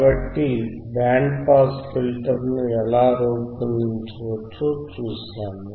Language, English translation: Telugu, So, we have seen how the band pass filter can be designed